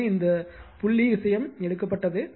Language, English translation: Tamil, So, this dot thing is taken right